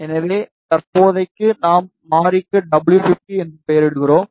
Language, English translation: Tamil, So, for the time being we name the variable as W 50 ok